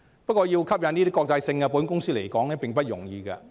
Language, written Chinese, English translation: Cantonese, 然而，要吸引國際保險公司來港並非易事。, However it is not easy to attract international insurance companies to Hong Kong